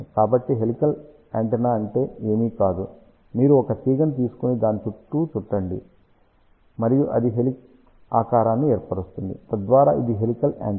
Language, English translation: Telugu, So, helical antenna is nothing but you take a wire and the wrap it around ok and that makes that forms the shape of helix, so that is that is what is a helical antenna